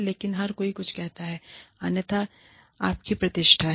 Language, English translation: Hindi, But, everybody says something, otherwise, this is your reputation